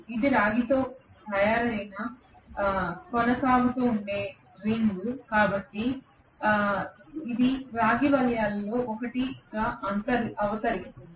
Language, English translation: Telugu, It is a continuous ring which is made up of copper, so this is going to be one of the copper rings